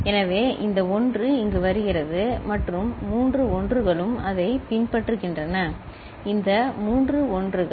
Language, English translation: Tamil, So, this 1 is coming here and all three 1s, it is following these three 1s